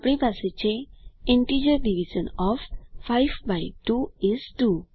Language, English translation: Gujarati, we have the integer Division of 5 by 2 is 2